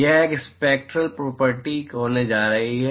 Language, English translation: Hindi, It is going to be a spectral property